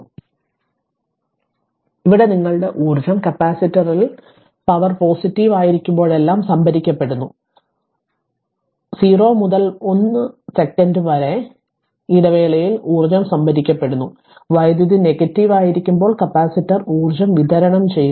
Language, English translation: Malayalam, So, here that your energy is being stored in the capacitor whenever the power is positive, hence energy is being stored in the interval 0 to 1 second right and energy is being delivered by the capacitor whenever the power is negative